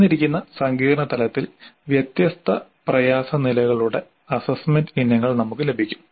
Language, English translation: Malayalam, At a given complexity level we can now assessment items of different difficulty levels